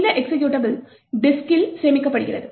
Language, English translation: Tamil, So, this executable is stored in the disk